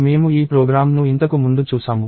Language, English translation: Telugu, We saw this program earlier